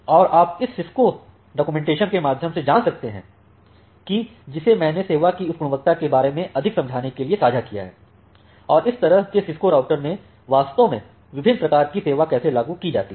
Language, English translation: Hindi, And you can go through this Cisco documentation that I have shared to understand more about this quality of service and how different types of quality of service are actually implemented in such Cisco routers